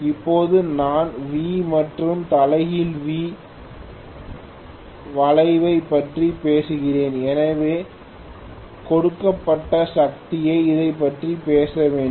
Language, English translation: Tamil, Now, I am talking about V and inverted V curve, so I have to talk about this at the given power